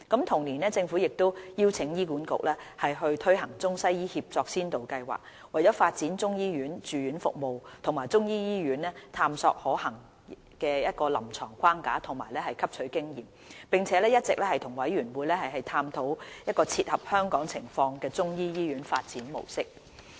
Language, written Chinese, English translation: Cantonese, 同年，政府亦邀請醫院管理局推行中西醫協作先導計劃，為發展中醫住院服務及中醫醫院探索可行的臨床框架及汲取經驗，並一直與委員會探討切合香港情況的中醫醫院發展模式。, In the same year the Government invited Hospital Authority HA to launch the Integrated Chinese - Western Medicine ICWM Pilot Programme to explore the feasible clinical framework and gain experience for the provision of Chinese medicine inpatient services and the development of the Chinese medicine hospital . All along the Government has been working closely with CMDC to study the mode of development for the Chinese medicine hospital which is suitable for Hong Kong